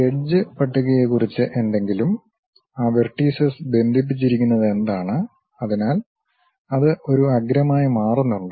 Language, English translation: Malayalam, And then something about edge list, what are those vertices connected with each other; so, that it forms an edge